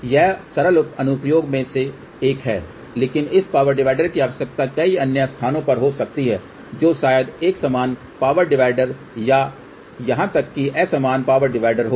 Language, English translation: Hindi, So, that is one of the simple application, but this power divider may be required at many other places which maybe a equal power divider or even un equal power divider